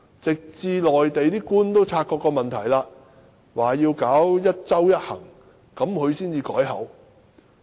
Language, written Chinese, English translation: Cantonese, 直至內地官員因察覺這個問題而實施"一周一行"，他才改變說法。, Yet when Mainland government officials noticed the problem and imposed the one trip per week restriction he changed his comments